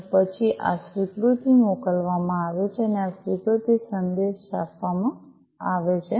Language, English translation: Gujarati, And then this acknowledgement is sent and this acknowledged message is printed